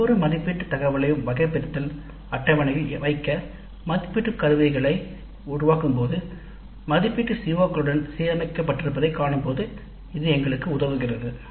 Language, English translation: Tamil, This helps us later when we create assessment instruments to place each assessment item also in the taxonomy table and see that the assessment is aligned to the COs